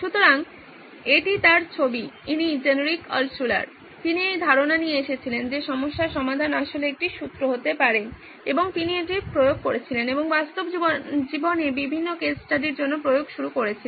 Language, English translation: Bengali, So this is his picture this is Genrich Altshuller, he came up with this idea that problem solving can actually be a formula and he applied it and started applying for different case studies in real life